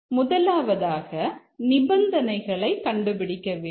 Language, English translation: Tamil, The first step is to identify the conditions